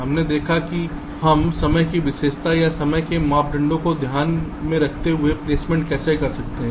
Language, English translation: Hindi, we looked at that how we can do placement taking into account the timing characteristic or the timing parameters in mind